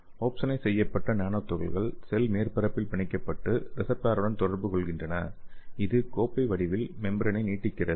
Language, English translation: Tamil, So these opsonized nanoparticles bind to the cell surface and interact with the receptor and it will induce the cup shaped membrane extension formation okay